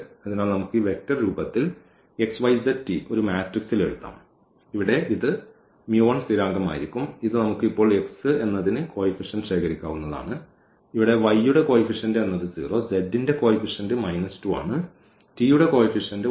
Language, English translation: Malayalam, So, we can write down in a matrix in this vector form x, y, z, t will be this mu 1 the constant here and this we can collect now for x, x is one the coefficient here for y it is 0, for z it is minus 2 and from t it is 1